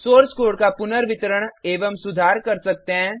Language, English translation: Hindi, Redistribute and improve the source code